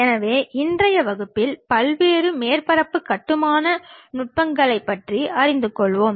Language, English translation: Tamil, So, in today's class we will learn about various surface construction techniques